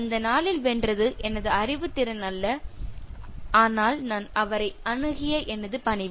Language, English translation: Tamil, It is not my intelligence that won the day, but it was my politeness in which I approached him